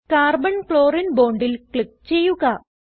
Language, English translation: Malayalam, Click on Carbon Chlorine bond